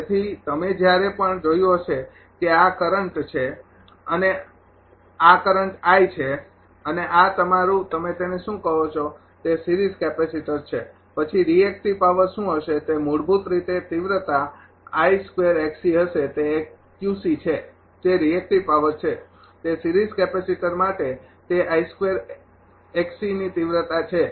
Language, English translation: Gujarati, So, whenever you you have seen this is the current, I this is the current I and this is your what you call that series capacitor; then what is will be reactive power it will be basically magnitude I square into x c that is q c, that is reactive power that ah it is magnitude of I square into x c for the series capacitor